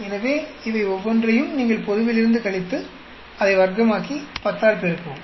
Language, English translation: Tamil, So, each of these you subtract from the global, square it up, multiply by 10